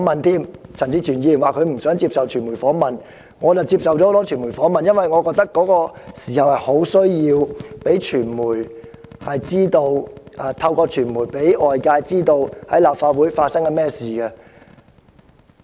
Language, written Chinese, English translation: Cantonese, 雖然陳志全議員婉拒傳媒訪問，但我則接受了多間傳媒機構訪問，因為我覺得當時有迫切需要透過傳媒讓外界知道綜合大樓內的情況。, In contrast to Mr CHAN Chi - chuen I accepted many media interviews because at that time I saw a pressing need to enable the outside world to understand the situation in the LegCo Complex through the media